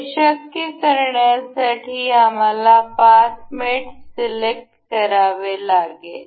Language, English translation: Marathi, To make this possible, we will have to select the path mate